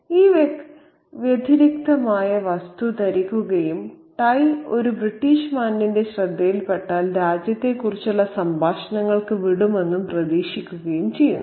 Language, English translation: Malayalam, So, he wears this distinct object on his person and hoping that that tie, if noticed by a British gentleman, would lead to conversations about the country back there